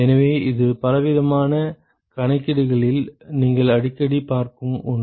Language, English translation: Tamil, So, this is something that you will see very often in many different calculations